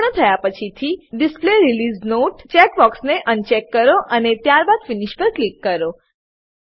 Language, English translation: Gujarati, Once done, uncheck the Display Release Note checkbox and then click on Finish